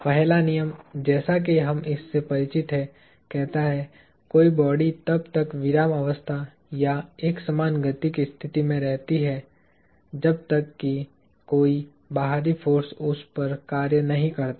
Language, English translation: Hindi, The first law as we are familiar with it, states – an object remains in a state of rest or uniform motion unless an external force acts upon it